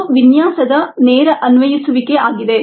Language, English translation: Kannada, that's the straight forward design application